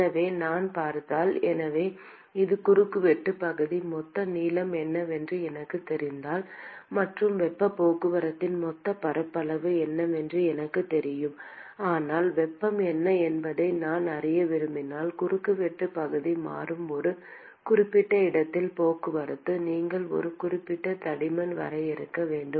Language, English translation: Tamil, So, supposing if I look at the so this is the cross sectional area supposing if I know what is the total length and I know what is the total surface area of heat transport, but if I want to know what is the heat transport at a given location where the cross sectional area is changing, then you have to define a specific thickness